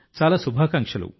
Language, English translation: Telugu, Many good wishes